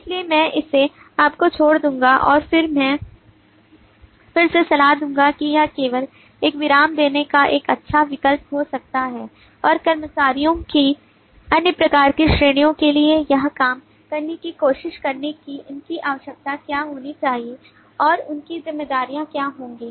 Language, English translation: Hindi, so i will leave this to you and i will again advice that it may be a good option to just do a pause and try to work this out for the other kinds of categories of employees as to what their attribute should be and what their responsibilities, how their responsibilities turned out to be